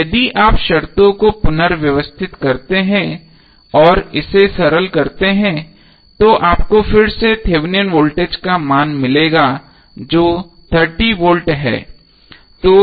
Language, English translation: Hindi, Now if you rearrange the terms and simplify it you will again get the value of Thevenin voltage that is 30V